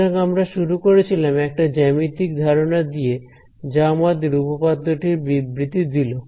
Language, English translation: Bengali, So, this is the starting with a geometric idea which gave us the statement of the theorem very intuitively